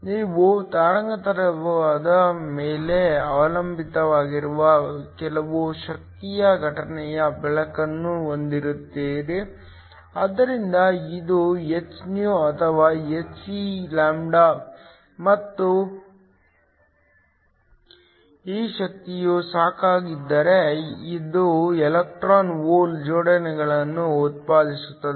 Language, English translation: Kannada, You have incident light which of some energy which depends upon the wavelength, so it is hυ or hc and if this energy is sufficient it will generate electron hole pairs